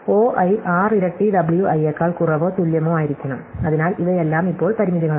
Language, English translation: Malayalam, So, O i should be less than or equal to 6 times W i, so these are all constraints now